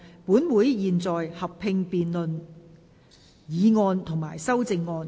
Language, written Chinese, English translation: Cantonese, 本會現在合併辯論議案及修正案。, Council will conduct a joint debate on the motion and the amendments